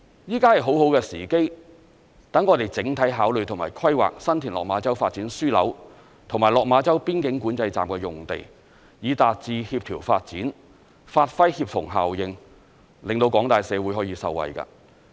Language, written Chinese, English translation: Cantonese, 現在是很好的時機，讓我們整體考慮和規劃新田/落馬洲發展樞紐和落馬洲邊境管制站的用地，以達致協調發展，發揮協同效應，令廣大社會可以受惠。, This is a good opportunity for us to make overall consideration and planning of the sites of the San TinLok Ma Chau Development Node and the Lok Ma Chau Boundary Control Point with a view to achieving coordinated development leveraging the synergies and benefiting members of the public